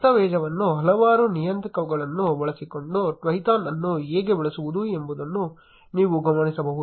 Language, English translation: Kannada, In the documentation, you will notice how to use Twython using several parameters